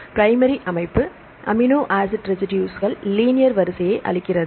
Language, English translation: Tamil, So, the primary structure gives the linear sequence of amino acid residues